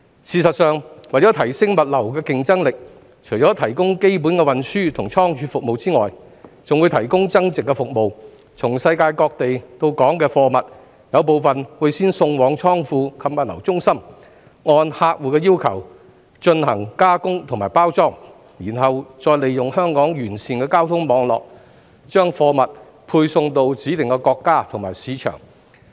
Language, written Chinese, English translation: Cantonese, 事實上，為提升物流競爭力，除提供基本的運輸及倉儲服務外，還會提供增值服務，從世界各地到港的貨物，有部分會先送往倉庫及物流中心，按客戶要求進行加工及包裝，然後再利用香港完善的交通網絡，把貨物配送到指定國家及市場。, In fact to enhance logistic competitiveness apart from the provision of basic transport and storage services value - added services are also provided . Some of the goods arriving at Hong Kong from places around the world will first be sent to warehouses and logistics centres for processing and packaging as per the customers requests . Then the goods will be delivered to specified countries and markets by making use of Hong Kongs comprehensive transport network